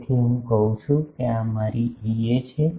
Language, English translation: Gujarati, So, I say that this is my E a